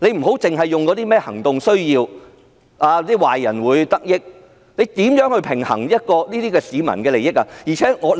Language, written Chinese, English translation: Cantonese, 局長不要以行動需要、壞人會得益來開脫，他們怎樣去平衡市民的利益？, The Secretary should not use operational needs or that the bad guys will stand to benefit as an excuse how do they strike a balance against public interest?